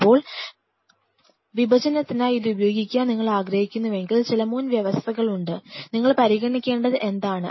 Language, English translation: Malayalam, Now, if you want to use it for dissection there are certain prerequisite, what you have to consider